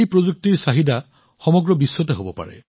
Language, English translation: Assamese, Demand for this technology can be all over the world